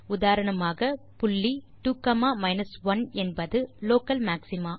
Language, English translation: Tamil, For example the point (2, 1) is the local maxima